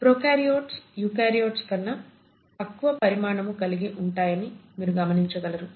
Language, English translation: Telugu, You find that prokaryotes are fairly smaller in size compared to eukaryotes which are much larger